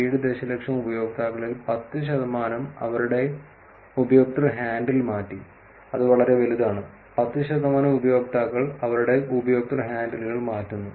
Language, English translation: Malayalam, 7 million users changed their user handle which is actually pretty large, 10 percent of users changing their user handles